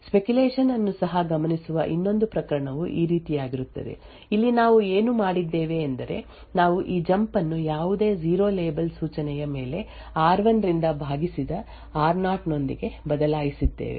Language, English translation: Kannada, Another case where speculation is also observed is in something like this way, here what we have done is that we have replaced this jump on no 0 label instruction with a divided r0 by r1